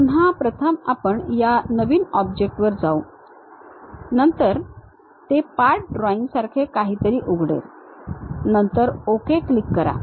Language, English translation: Marathi, Again first we go to this object New, then it opens something like a Part drawing, click then Ok